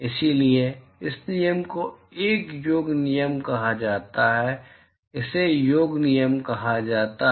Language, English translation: Hindi, So, this rule is called a summation rule, this is called the summation rule